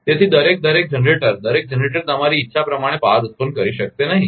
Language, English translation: Gujarati, So, every every generator, every generator cannot generate power the way you want